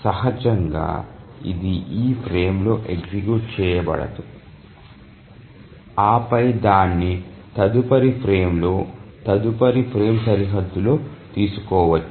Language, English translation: Telugu, Obviously it cannot run on this frame and then it can only be taken up in the next frame, next frame boundary